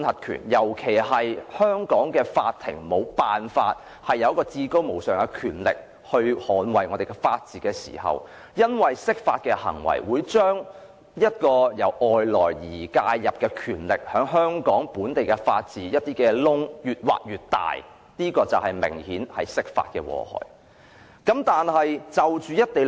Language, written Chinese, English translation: Cantonese, 當香港的法庭沒有至高無上的權力捍衞法治，釋法的行為引入外來的權力，把本地法治的漏洞越挖越大，這就是釋法的明顯禍害。, As the Courts of Hong Kong do not possess the ultimate power to defend the rule of law the introduction of external powers will dig deeper into the existing local loopholes in law . This is an obvious harm of the interpretations